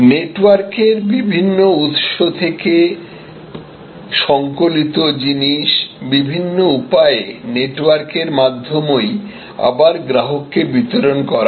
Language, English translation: Bengali, Compiled from different sources over a network and delivered in different ways to the end consumer over networks